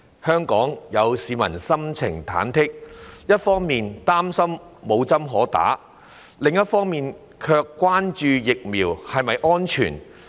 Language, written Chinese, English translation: Cantonese, 香港市民心情忐忑，一方面擔心無針可打，另一方面卻關注疫苗是否安全。, Hong Kong people are at sixes and sevens as they are worried that no vaccine is available for injection while they are concerned about the safety of the vaccines